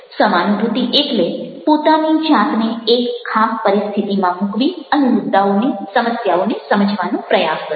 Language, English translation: Gujarati, empathy means putting oneself are in that particular situation and trying to understand the issues, the problem